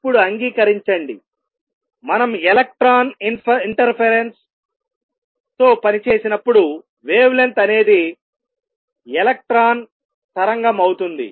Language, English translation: Telugu, Accept that now, when we work with electron interference wavelength is that of electron waves